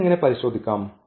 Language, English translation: Malayalam, How to check this